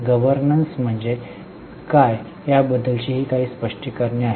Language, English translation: Marathi, These are some of the explanations as to what is governance